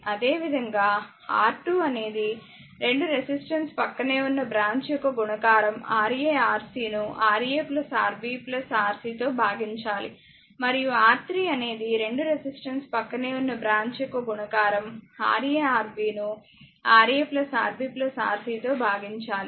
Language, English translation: Telugu, Similarly, R 2 is equal to product of the 2 resistor adjacent branch that is Ra Rc divided by Rb Ra plus Rb plus Rc